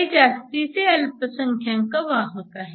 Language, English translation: Marathi, These are the excess minorities carriers